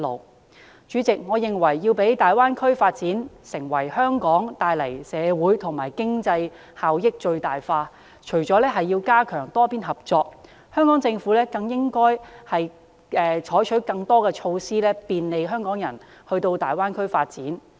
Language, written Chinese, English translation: Cantonese, 代理主席，我認為要將大灣區發展為香港帶來的社會及經濟效益最大化，除了要加強多邊合作，香港政府更應採取更多措施便利香港人到大灣區發展。, Deputy President in my opinion in order to maximize the social and economic benefits brought to Hong Kong by the development of the Greater Bay Area apart from stepping up multilateral cooperation the Hong Kong Government should also adopt more measures to facilitate the development of Hong Kong people in the Greater Bay Area